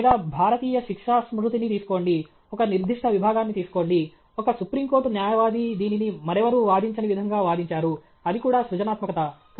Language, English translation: Telugu, Or take Indian penal code, take a particular section, some supreme court lawyer argues it in a way which nobody else has argued; that is also creativity